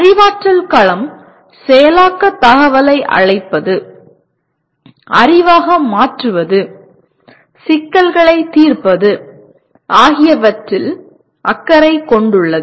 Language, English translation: Tamil, Cognitive domain is concerned with what do you call processing information, converting into knowledge, solving problems